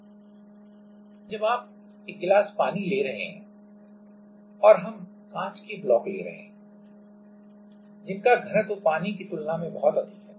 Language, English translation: Hindi, And for that we will work out this example where we are taking a glass of water and we are taking glass blocks which have very high density compared to the water